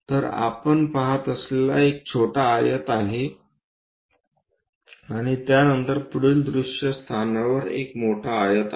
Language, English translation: Marathi, So, what we see is a small rectangle followed by a large rectangle at the front view location